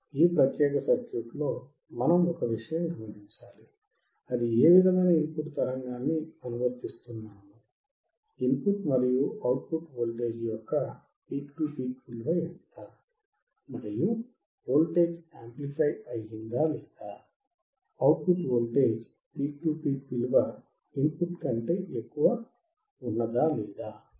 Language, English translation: Telugu, One thing that we have to notice in this particular circuit is that the input signal that you are applying if you consider the voltage peak to peak voltage Vin and Vout, the voltage has been amplified; peak to peak voltage is higher when it comes to the output voltage